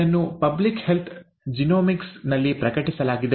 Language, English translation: Kannada, It was published in ‘Public Health Genomics’